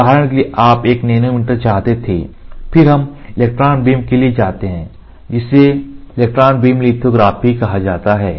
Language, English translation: Hindi, For example, you wanted in nanometers, then we go for electron beam which is otherwise called as electron beam lithography